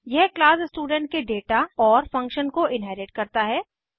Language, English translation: Hindi, It inherits the function and data of class student